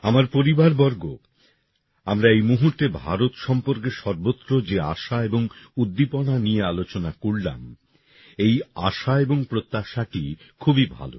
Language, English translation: Bengali, My family members, we just discussed the hope and enthusiasm about India that pervades everywhere this hope and expectation is very good